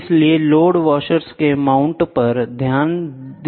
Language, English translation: Hindi, So, attention has to be paid to mount of load washers